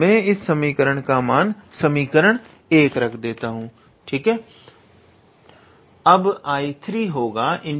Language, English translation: Hindi, I can name this equation as equation 1